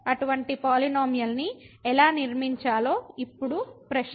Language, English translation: Telugu, So, now the question is how to construct such a polynomial